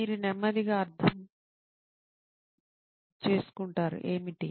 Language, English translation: Telugu, What you mean slow